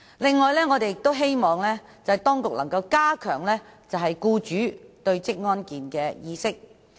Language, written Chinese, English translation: Cantonese, 此外，我們亦希望當局能加強僱主對職業安全健康的意識。, Besides it is also our hope that measures will be taken by the Government to promote employers awareness of occupational safety and health